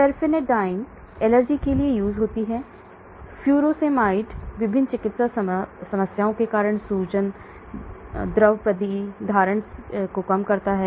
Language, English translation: Hindi, Terfenadine is for allergic, Furosemide reduces the swelling, fluid retention caused by various medical problems